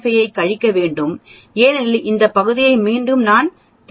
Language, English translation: Tamil, 5 from that because of this because I need to know only this area